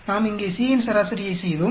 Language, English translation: Tamil, We averaged the C here